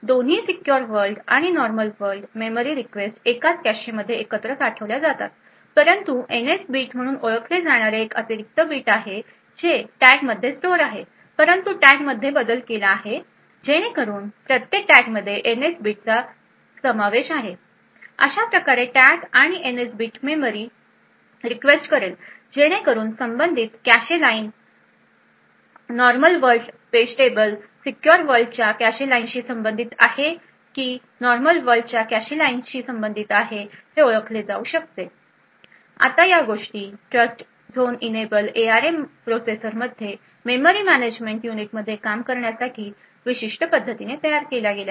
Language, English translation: Marathi, Both secure world as well as normal world memory request are stored together in the same cache however there is an additional bit known as the NS bit which is stored in the tag however the tag is modified so that each tag also comprises of the NS bit it thus based on the tag and the NS bit present a memory request can be identified whether the corresponding cache line corresponds to a secure world cache line or a normal world cache line